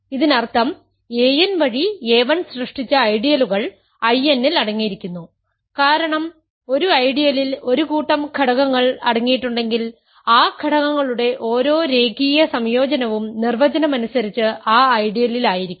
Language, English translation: Malayalam, This means the ideals generated by a 1 through a n is contained in I n right because if an ideal contains a bunch of elements, every linear combination of those elements is by definition in that ideal